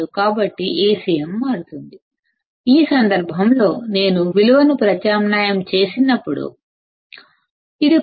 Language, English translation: Telugu, So, Acm would change; in this case when I substitute the value; this is the new value; 0